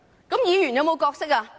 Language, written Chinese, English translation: Cantonese, 那麼議員有何角色？, What are the roles of Members?